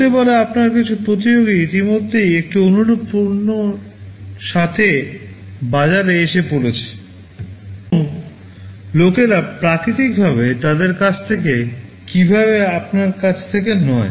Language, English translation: Bengali, Maybe some of your competitors already have hit the market with a similar product, and people will buy naturally from them and not from you